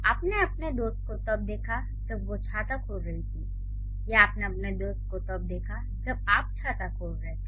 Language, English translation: Hindi, So, you saw your friend while you were opening the umbrella or you saw your friend while she was opening the umbrella